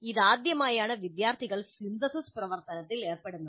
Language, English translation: Malayalam, It is the first time the students engage in synthesis activity